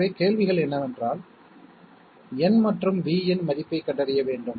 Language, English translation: Tamil, So the questions are, find out the value of N and V